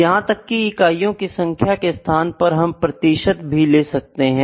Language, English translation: Hindi, Even in place of the number of units we can also have the percentages here